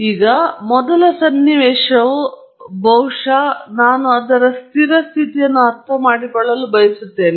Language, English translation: Kannada, Now, the first scenario is probably that I want to understand its steady state